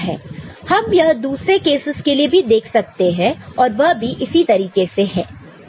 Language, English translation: Hindi, So, we can see for other cases also and it works in that manner